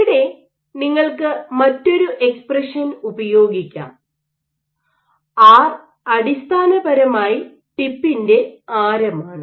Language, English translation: Malayalam, You can have another expression here; R is basically the radius of the tip